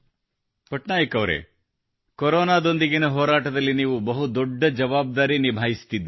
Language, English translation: Kannada, Patnaik ji, during the war against corona you are handling a big responsibility